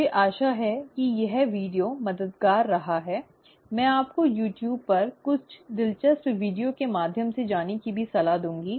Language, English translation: Hindi, I hope this video has been helpful; I would also recommend you to go through some of the interesting videos on YouTube